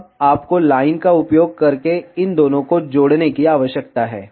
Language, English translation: Hindi, Now, you need to connect these two using the line